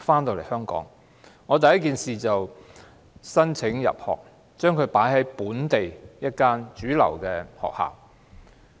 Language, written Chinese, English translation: Cantonese, 我回港後第一件事是為他申請入讀本地主流學校。, After returning to Hong Kong the first thing I did was to enrol him in a local mainstream school